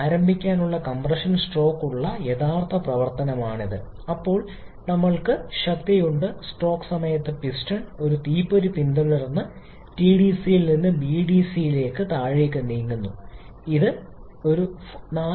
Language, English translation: Malayalam, This is the actual operation where we have the compression stroke to start with, then we have the power stroke during which the piston is moving down from TDC to BDC following a spark which is produced here